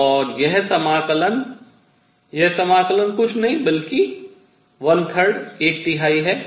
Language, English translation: Hindi, So, I get and this integral this integral is nothing, but one third